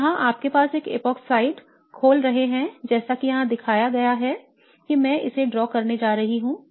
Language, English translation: Hindi, So here you are opening up an epoxide as shown here I am just going to draw this out